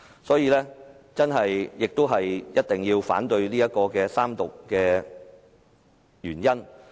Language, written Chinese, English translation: Cantonese, 所以，這也是我一定要反對三讀的原因。, I therefore consider it necessary for me to oppose the Third Reading of the Bill